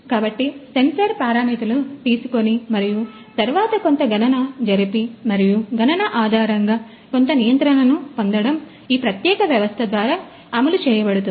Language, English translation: Telugu, So, the sensor parameters will be taken and then some computation that is that is done and based on the computation getting some control that is also implemented on this particular system